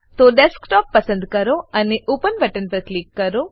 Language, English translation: Gujarati, So, select Desktop and click on the Open button